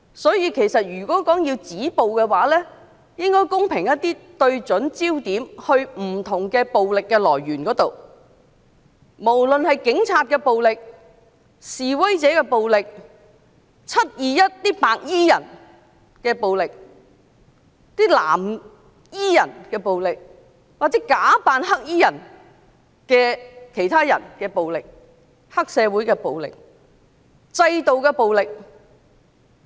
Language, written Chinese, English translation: Cantonese, 所以，如果要止暴，我們應該公平一些對準焦點，指向不同的暴力來源，不論是警察的暴力、示威者的暴力、"七二一"白衣人的暴力、藍衣人的暴力、其他人假扮黑衣人的暴力、黑社會的暴力及制度的暴力。, Thus if we want to stop violence we should be fair and focus our attention on the different sources of violence including violence of the Police violence of the protesters violence of the white - clad people in the 21 July incident violence of the blue - clad people violence of others who disguised as black - clad people violence of triad societies or violence of the systems . Full democracy has not been achieved in this Council and the Chief Executive is not returned by one person one vote